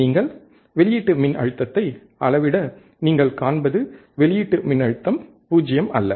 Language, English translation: Tamil, And you measure the output voltage what you will find is that the output voltage is not 0